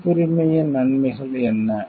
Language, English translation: Tamil, What are the benefits of copyrights are